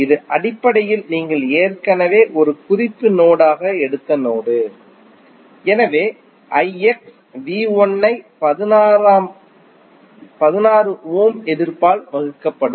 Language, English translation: Tamil, That is basically the node you have already taken as a reference node, so the I X would be V 1 divided by the 16 ohm resistance, so V 1 by 16 is I X